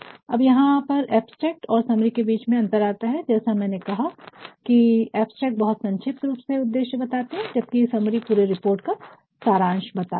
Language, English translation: Hindi, Now, here is thethe differenceshown between abstract and summary as I said, abstract will only mention concisely the purpose whereas, the summary will tell you the entire report in a nut shell